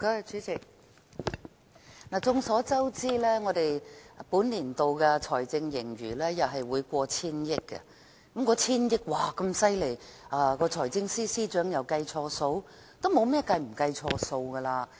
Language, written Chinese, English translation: Cantonese, 主席，眾所周知，政府本年度的財政盈餘又會超過千億元，千億元的盈餘那麼厲害，難道財政司司長再次計錯數？, Chairman as we all know the Government will again record a fiscal surplus of over 100 billion this year . How awesome is a surplus of 100 billion . Could it be another instance of miscalculation by the Financial Secretary?